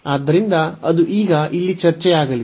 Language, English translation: Kannada, So, that will be the discussion now here